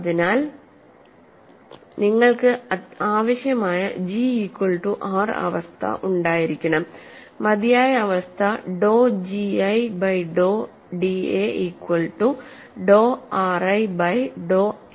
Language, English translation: Malayalam, So, you have to have the necessary condition is G equal to R, sufficient condition is dou G 1 by dou a equal to dou R 1 by dou a